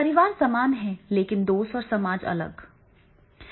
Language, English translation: Hindi, Society is different, family is same